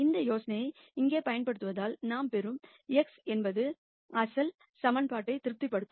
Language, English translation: Tamil, And since we use this idea here the x that we get is such that A x equal to b that is satisfies the original equation